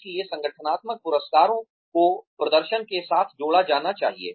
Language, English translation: Hindi, So, the organizational rewards should be tied with the performance